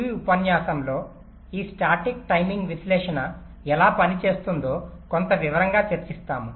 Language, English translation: Telugu, in this lecture we shall be discussing in some detail how this static timing analysis works